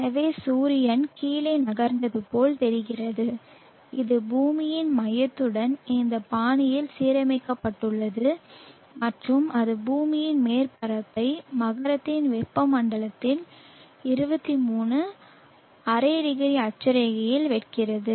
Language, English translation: Tamil, So it move it looks as though the sun as moved down and it is aligned in this fashion to the center of the earth and it is cutting the surface of the earth had to tropic of Capricorn at 23 1/2 0 gratitude